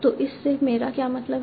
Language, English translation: Hindi, So what do I mean by that